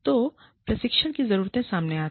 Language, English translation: Hindi, So, training needs are revealed